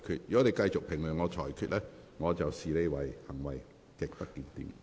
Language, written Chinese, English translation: Cantonese, 如果你繼續評論我的裁決，我會視之為行為極不檢點。, If you continue to do so I will regard your conduct as grossly disorderly